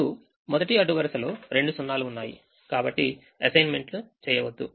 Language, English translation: Telugu, the first row has two zeros, therefore don't make an assignment